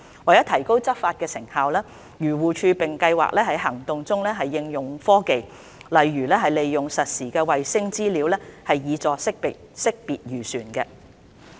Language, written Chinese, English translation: Cantonese, 為提高執法成效，漁護署並計劃在行動中應用科技，例如利用實時衞星資料，以助識別漁船。, To enhance the effectiveness of the enforcement action AFCD also plans to apply technology in its enforcement work such as using real time satellite information to help identify fishing vessels